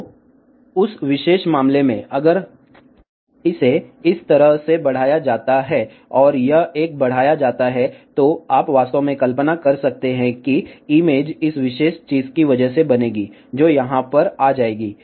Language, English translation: Hindi, So, in that particular case, if this is extended like this here and this one is extended, you can actually imagine that image will be formed because of this particular thing, which will come over here